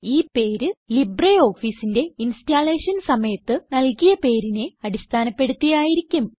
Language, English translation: Malayalam, The name is provided based on the name given during installation of LibreOffice as the user on the computer